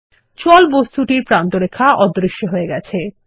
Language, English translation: Bengali, The outline of water object becomes invisible